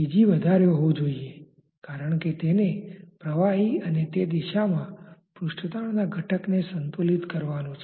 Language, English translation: Gujarati, P gas to be more, because it has to balance the p liquid and the component of the surface tension in that direction